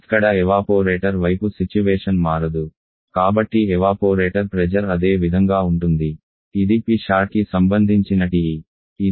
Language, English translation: Telugu, Here the evaporator condition is not changing so evaporator pressure is the same which is this one PC at corresponding to TE